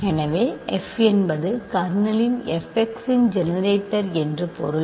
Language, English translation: Tamil, So, that already means that f is the generator of the kernel f x